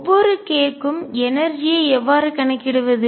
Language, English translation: Tamil, How do I calculate the energy for each k